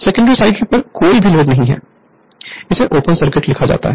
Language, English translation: Hindi, There is no load on the secondary, it is written open circuit right